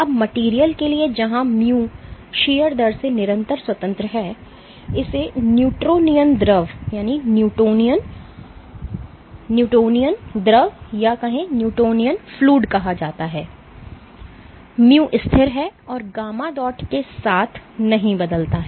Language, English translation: Hindi, Now for materials where mu is constant independent of shear rate this is called a Newtonian fluid, mu is constant and does not change with gamma dot